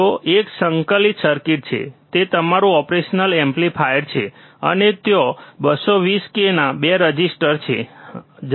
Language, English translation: Gujarati, There is an integrated circuit, which is your operational amplifier and there are 2 resistors of 220 k, right